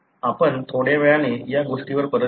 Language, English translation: Marathi, We will come back to that little later